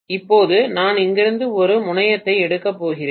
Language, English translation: Tamil, Now I am going to take out one terminal from here